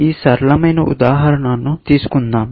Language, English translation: Telugu, So, let us just take this simple example